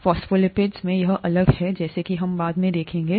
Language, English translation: Hindi, In the phospholipids, this is different as we will see later